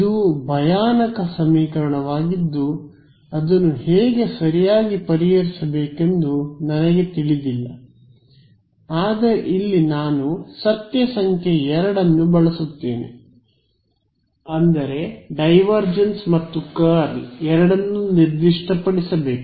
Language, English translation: Kannada, This is a horrendous equation I do not know how to solve it right, but here is where I use fact number 2; fact number 2 is divergence and curl both have to be specified